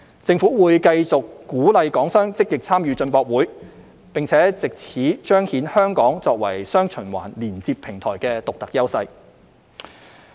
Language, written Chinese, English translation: Cantonese, 政府會繼續鼓勵港商積極參與進博會，並藉此彰顯香港作為"雙循環"連接平台的獨特優勢。, The Government will continue to encourage Hong Kong enterprises to actively participate in CIIE with a view to presenting Hong Kongs unique strengths as the connecting platform of dual circulation